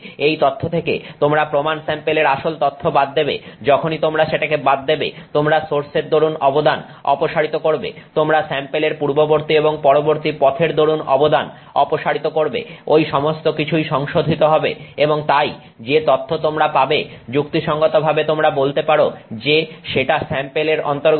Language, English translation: Bengali, Once you subtract that out you have removed the contribution of the source, you have removed the contribution of the path before the sample, the path after the sample, all of those have been corrected and so what data you get you can reasonably say that it belongs to the sample